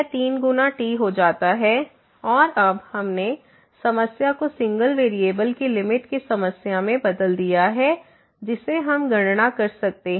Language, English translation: Hindi, So, it becomes 3 times and now, we have changed the problem to the problem of limits of single variable which we can compute